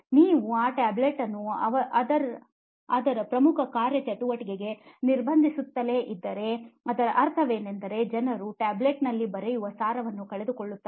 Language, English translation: Kannada, If you keep on restricting that tablet to its core functionality what it is meant to be so people will actually lose out that essence of writing on the tablet